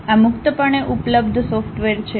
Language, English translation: Gujarati, These are the freely available software